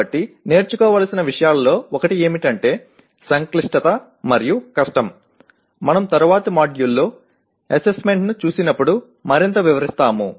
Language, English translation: Telugu, So one of the things to learn is that complexity and difficulty we will elaborate more when we look at the issue of assessment in a later module